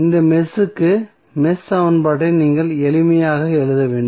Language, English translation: Tamil, You have to just simply write the mesh equation for this mesh